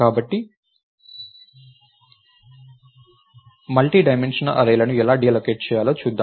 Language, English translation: Telugu, Now, lets see how to allocate a multidimensional array